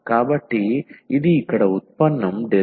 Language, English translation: Telugu, So, this is the derivative here dI over dx